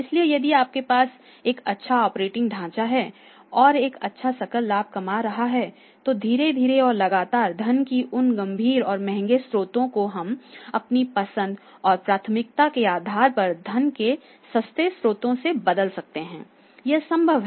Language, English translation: Hindi, So, if you have a good operating structure and your earning a good gross profit then slowly and steadily those heavy and expensive sources of funds can be replaced with the cheaper sources of the funds at our own priority and the choice that is possible